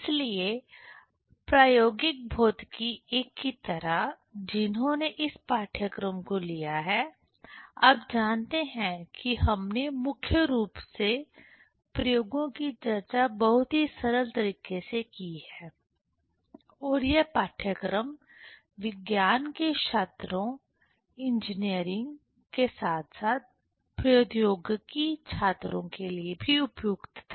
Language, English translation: Hindi, So, like experimental physics I, who has taken this course you know that we have mainly discussed the experiments in very simple way and this course was suitable for science students, engineering as well as technology students